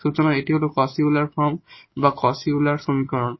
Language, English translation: Bengali, So, this is the Cauchy Euler equation which we know that how to solve by this substitution